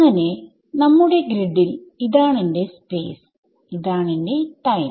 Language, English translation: Malayalam, So, our grid this is my space and this is my time